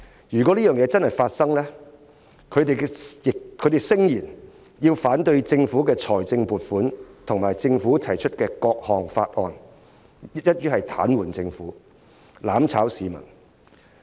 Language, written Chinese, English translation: Cantonese, 如果這個情況成真，他們聲言要反對政府的財政預算案及政府提出的各項法案，一於癱瘓政府，"攬炒"市民。, Should this be the case they allege that they will vote down the Budget and various Bills proposed by the Government in order to paralyse the Government and mutually destroy the people